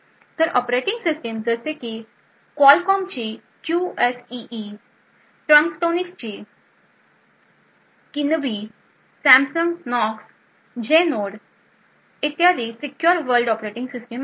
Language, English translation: Marathi, So operating systems such as Qualcomm’s QSEE, Trustonics Kinibi, Samsung Knox, Genode etc are secure world operating systems